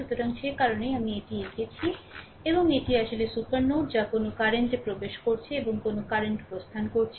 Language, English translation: Bengali, So, that is why I I have drawn like this and this is actually supernode that which current is entering and which current is leaving, right